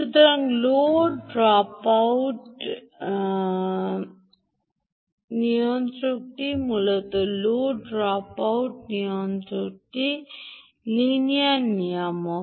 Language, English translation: Bengali, ok, so the low drop out regulator, essentially, low drop out regulator, essentially, is a linear regulator